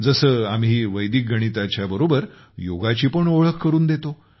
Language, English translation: Marathi, As such, we have also introduced Yoga with Vedic Mathematics